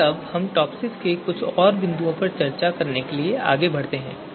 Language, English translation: Hindi, Now let us move forward and we will discuss few more points on TOPSIS